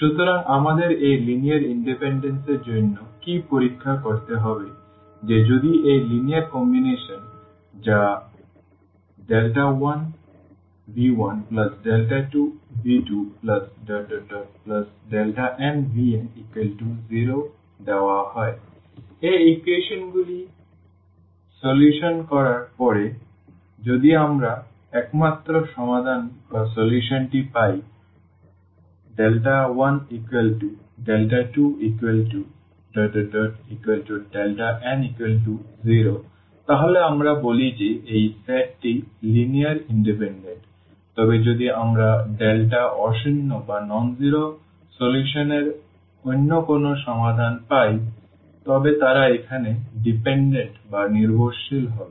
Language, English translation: Bengali, So, what do we have to check for this linear independence that if this linear combination which is given lambda 1 v 1 plus lambda 2 v 2 lambda n v n is equal to 0, after solving these equations if we get the only solution as lambda 1 is equal to lambda 2 is equal to lambda n is equal to 0, then we call that these this set is linearly independent, but if we get some other solution of the lambdas nonzero solution then they will be dependent here